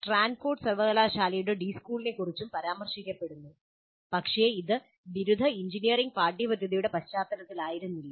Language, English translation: Malayalam, The D school of Stanford University is also mentioned, but that was not specifically in the context of undergraduate engineering curricula